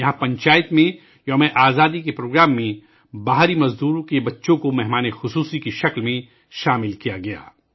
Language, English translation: Urdu, Here the children of migrant laborers were included as chief guests in the Independence Day Programme of the Panchayat